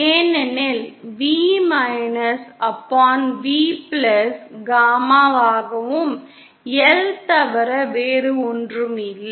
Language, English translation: Tamil, Because V upon V+ is nothing but gamma L